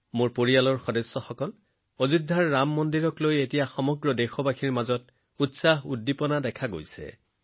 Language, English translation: Assamese, My family members, there is excitement and enthusiasm in the entire country in connection with the Ram Mandir in Ayodhya